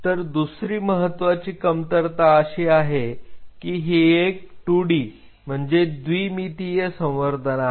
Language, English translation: Marathi, The second major drawback is what we have used is 2D culture